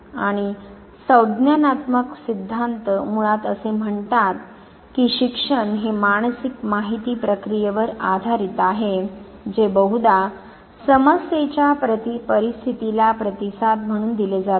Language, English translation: Marathi, Now cognitive theories basically say that learning is based on mental information processing which is often in response to a problem situation